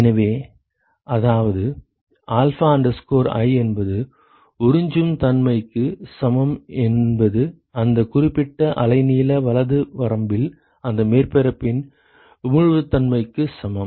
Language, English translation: Tamil, So, which means that alpha i equal to absorptivity is equal to emissivity of that surface in that particular range of wavelength right